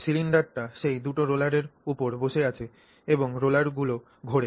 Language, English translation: Bengali, So, that cylinder is sitting on those two rollers and those rollers rotate